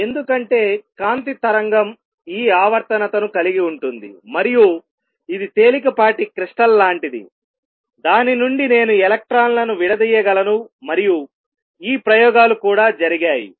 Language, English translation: Telugu, Because standing wave of light have this periodicity, and this is like a light crystal from which I can diffract electrons and these experiments have also been performed